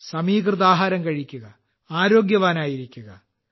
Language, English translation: Malayalam, Have a balanced diet and stay healthy